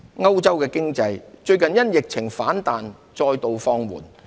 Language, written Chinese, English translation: Cantonese, 歐洲經濟最近因疫情反彈再度放緩。, The economy in Europe has slowed down again recently due to the resurgence of the pandemic